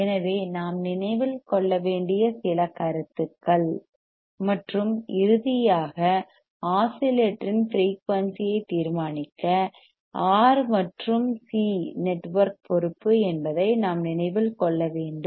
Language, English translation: Tamil, So, that are the few points that we have to remember and finally, what we have to remember that the R and C network is responsible for determining the frequency of the oscillator